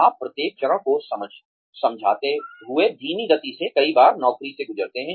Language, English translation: Hindi, You go through the job, at a slow pace, several times, explaining each step